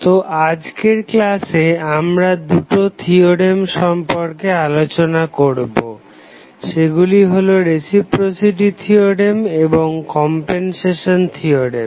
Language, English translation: Bengali, So, in today's lecture will discuss about 2 theorems, those are reciprocity theorem and compensation theorem